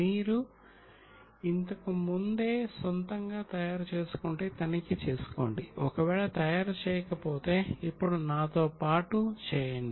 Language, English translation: Telugu, If you have made it yourself earlier, check it if not make it now along with me